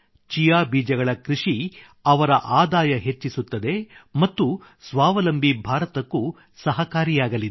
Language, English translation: Kannada, Cultivation of Chia seeds will also increase his income and will help in the selfreliant India campaign too